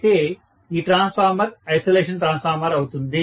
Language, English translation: Telugu, That is the reason why we use an isolation transformer here